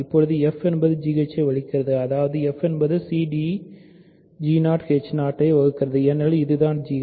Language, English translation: Tamil, So, now, f divides g h; that means, f divides c d g 0 h 0 right because that is what g h is